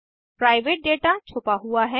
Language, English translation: Hindi, The private data is hidden